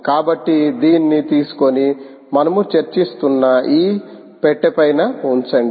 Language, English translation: Telugu, so take this midday and put it on top of this box that we were discussing